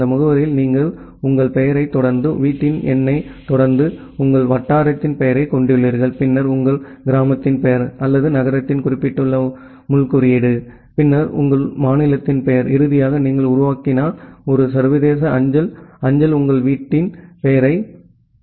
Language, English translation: Tamil, In you in that address you have your name followed by your, house number followed by your locality name of your locality, then the name of your village or the city a particular pin code, then the name of your state finally, if you are making a international postal mail transfer the name of your country